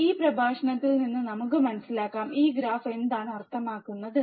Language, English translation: Malayalam, But let us understand from this lecture, what this graph means